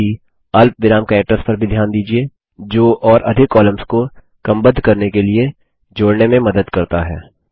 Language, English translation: Hindi, Also notice the comma characters which help to add more columns for sorting